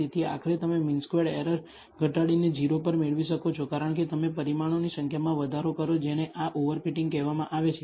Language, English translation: Gujarati, So, ultimately you can get the mean squared error to decrease to 0 as you increase the number of parameters this is called over fitting